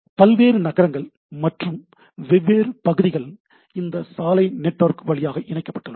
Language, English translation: Tamil, So, different cities, different regions are connected by these road networks